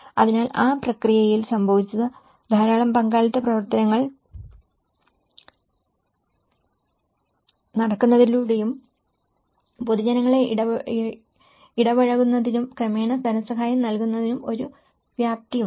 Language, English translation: Malayalam, So, in that process, what happened was because there is a lot of participatory activities working on and they could see that yes, there is a scope of engaging the public and gradually the funding